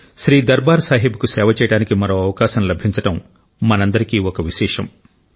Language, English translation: Telugu, It is the good fortune of all of us that we got the opportunity to serve Shri Darbaar Sahib once more